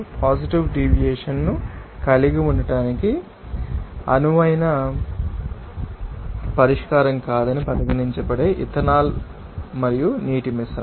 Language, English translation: Telugu, Ethanol and Water mixture that will be regarded as you know that not ideal solution of having positive deviation